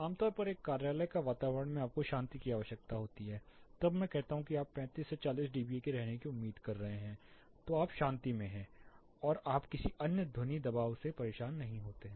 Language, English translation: Hindi, Typically an office environment you need it quite, when I say quite you will be expecting something around 35 to 40 dBA where you are at peace you do not get disturbed by any other sound pressure